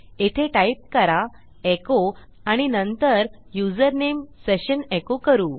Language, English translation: Marathi, Here Ill say echo and Ill echo the username session, okay